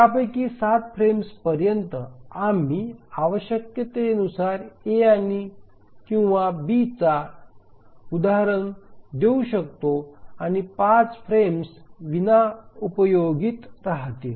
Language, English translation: Marathi, So 12 frames to 7 of those frames we can assign an instance of A or B as required and 5 frames will remain unutilized